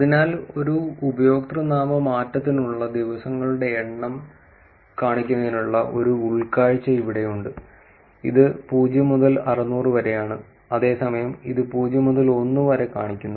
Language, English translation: Malayalam, So, again there is an insight here to show the number of days for a username change, this is 0 to 600, whereas this is just showing 0 to 1